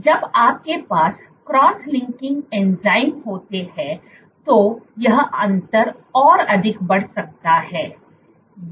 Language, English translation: Hindi, And when you have cross linking enzymes then this difference can further increase